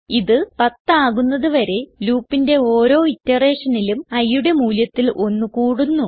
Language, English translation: Malayalam, It keeps increasing by 1 for every iteration of the loop until it becomes 10